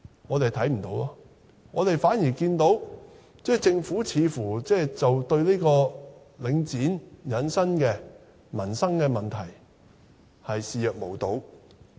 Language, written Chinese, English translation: Cantonese, 我們看不到，反而看到政府似乎對領展引起的民生問題，視若無睹。, We cannot see any . On the contrary we find that the Government is apparently turning a blind eye to the livelihood problems caused by Link REIT